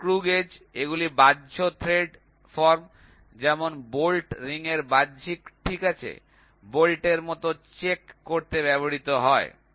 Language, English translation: Bengali, The rings screw gauge they are used to check the external thread form like bolt ring external, ok, like bolt